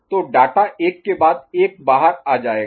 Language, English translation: Hindi, So, data will be going out one after another ok